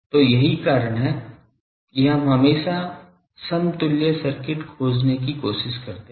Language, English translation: Hindi, So, that is the reason we always try to find the equivalent circuit